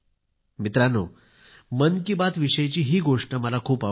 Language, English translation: Marathi, Friends, this is something I really like about the "Man Ki Baat" programme